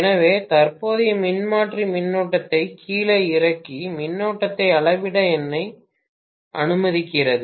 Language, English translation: Tamil, So, current transformer allows me to measure the current by stepping down the current